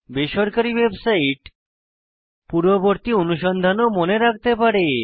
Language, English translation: Bengali, Private website may also remember previous searches